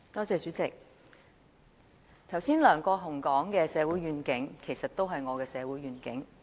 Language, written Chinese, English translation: Cantonese, 主席，梁國雄議員剛才所說的社會願景，其實亦是我的社會願景。, President the vision for society as referred to by Mr LEUNG Kwok - hung just now is actually also my vision for society